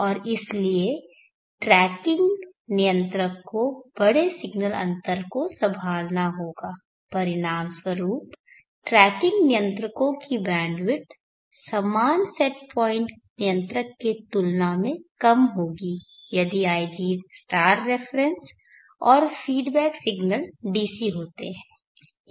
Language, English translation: Hindi, And therefore the tracking controller will have to handle large signal deviations, as the consequences the bandwidth of tracking controller will be lower compare to as similar set point controller, if ig* and feedback signals have DC